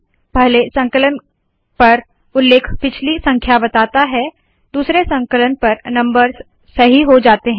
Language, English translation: Hindi, ON first compilation the reference gives the previous number, on second compilation the numbers become correct